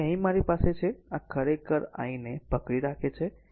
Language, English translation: Gujarati, So, here I have so, this is actually just hold on I